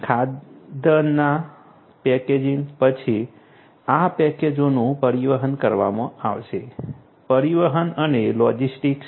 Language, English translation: Gujarati, After packaging of the food grains these packages are going to be transported transportation, transportation and logistics